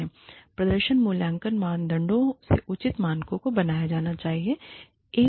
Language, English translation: Hindi, Reasonable standards of performance appraisal criteria, should be made